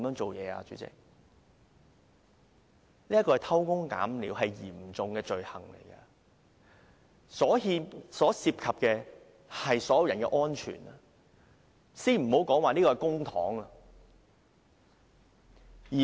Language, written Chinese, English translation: Cantonese, 這是偷工減料，是嚴重罪行，牽涉到所有人的安全，先不說這筆是公帑。, Cutting corners is a serious crime jeopardizes public safety not to mention wasting public money